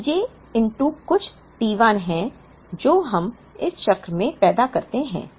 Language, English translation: Hindi, So, P j into some t 1 is what we produce in this cycle